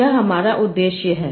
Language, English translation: Hindi, Now what is my objective